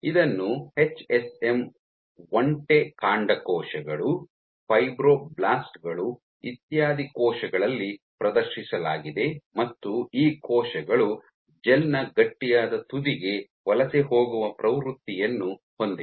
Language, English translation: Kannada, So, it has been demonstrated in HSM camel stem cells, fibroblasts etcetera cells and these cells have a propensity to migrate towards the stiffer end of the gel